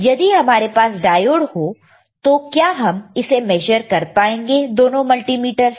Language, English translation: Hindi, If we have a diode, can we measure with both the multimeters